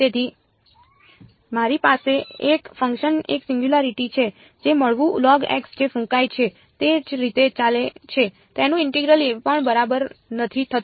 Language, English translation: Gujarati, So, I have a function a singularity which is going as log x what is blowing up at the origin even its integral does not go ok